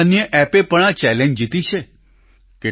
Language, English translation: Gujarati, Many more apps have also won this challenge